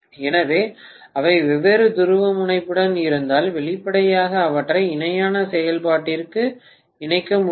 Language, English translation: Tamil, So, if they are of different polarity, obviously I can’t connect them together for parallel operation